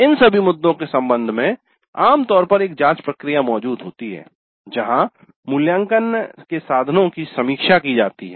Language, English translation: Hindi, With respect to all these issues usually a scrutiny process exists where the assessment instruments are reviewed